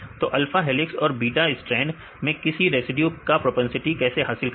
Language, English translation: Hindi, So, how to get the propensity of residues in alpha helix and beta strand